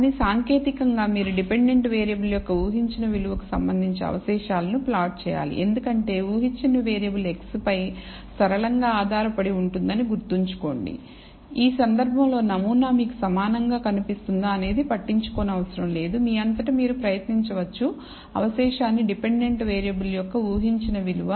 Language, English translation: Telugu, But technically you should plot the residual with respect to the predicted value of the dependent variable, remember because we presume that the predicted variable is linearly dependent on x, in this case it may not matter the pattern will look the same you can try it out for yourself if you plot the residual with respect to the predicted value of the variable dependent variable